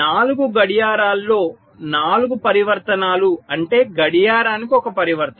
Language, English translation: Telugu, so four transitions in four clocks, which means one transitions per clock